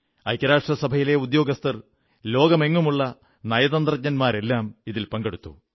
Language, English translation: Malayalam, The staff of the UN and diplomats from across the world participated